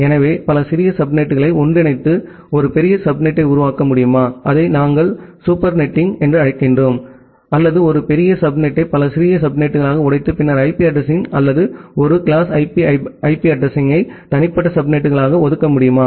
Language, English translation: Tamil, So, can I combine multiple smaller subnets together to form a larger subnet, which we call as super netting or can I break a large subnet into multiple small subnet and then allocate IP addresses or 1 class of IP address to individual subnets so that is the concept of sub netting